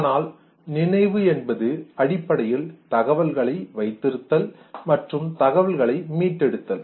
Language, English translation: Tamil, Therefore memory basically is our cognitive system which is used for storing and retrieving the information